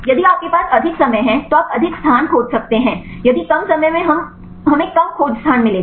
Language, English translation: Hindi, If you have more time then you can search more space if less time we will get less search space